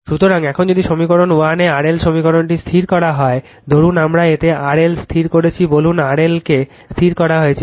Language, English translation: Bengali, So, now if R L in equation 1 this equation is held fixed, suppose R L we have fixed in it say R L is held fixed